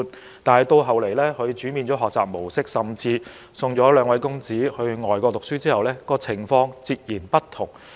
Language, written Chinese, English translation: Cantonese, 後來陳議員改變了兩位公子的學習模式，甚至送他們到外國讀書後，情況便截然不同了。, Later on Mr CHAN changed the learning mode of his two sons and even sent them overseas to pursue their studies and the situation changed drastically